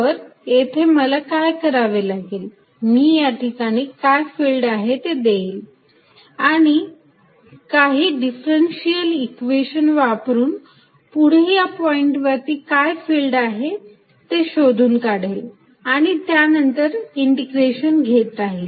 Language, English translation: Marathi, Then; obviously, what I need to do is, take the field out here and using some sort of a differential equation, find out what it is next point, what it is at next point and then keep integrating